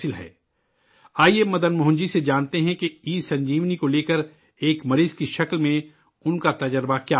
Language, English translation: Urdu, Come, let us know from Madan Mohan ji what his experience as a patient regarding ESanjeevani has been